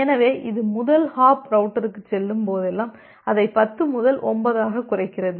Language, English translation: Tamil, So, whenever it goes to the first a hop router it reduces it from 10 to 9